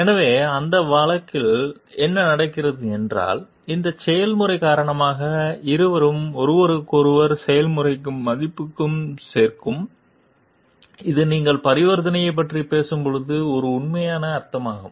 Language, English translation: Tamil, So, and in that case what happens it is like due to that process both are say to me value adding to each other s process that is a true meaning of when you are talking of transaction